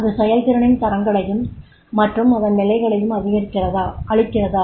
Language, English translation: Tamil, Does it provide the standards and level of performance